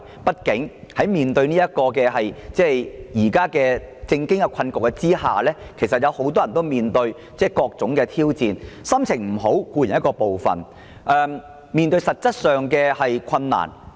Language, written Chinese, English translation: Cantonese, 畢竟，面對當前的政經困局，很多人皆面對重重挑戰，心情固然會受影響，還要面對各種實質上的困難。, After all in the face of the current political and economic crisis many people are facing a number of challenges and they are in a bad mood they also have to cope with various kinds of practical difficulties